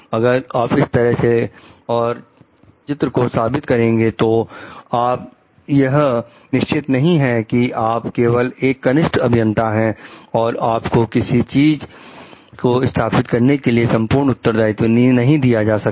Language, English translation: Hindi, If you try to justify in that way, you should not be sure you are only a maybe junior engineer and you should not be given the full responsibility to install something